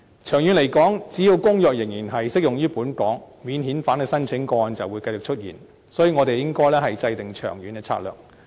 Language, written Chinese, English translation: Cantonese, 長遠來說，只要公約仍然適用於本港，免遣返申請的個案就會繼續出現，所以，我們應該制訂長遠策略。, In the long run as long as the Convention continues to apply in Hong Kong cases of non - refoulement claims will continue to emerge . Therefore we should formulate a long - term strategy